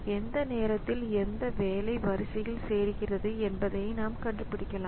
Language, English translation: Tamil, So, we can find out which job joined the queue at what time